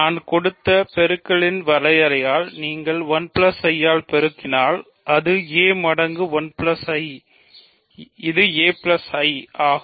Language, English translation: Tamil, If you multiply by 1 plus I by the definition of multiplication I gave it is a plus a times 1 plus I which is a plus I